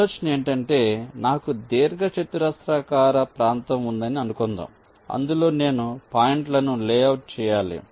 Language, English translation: Telugu, the idea is that suppose i have a rectangular area in which i have to layout the points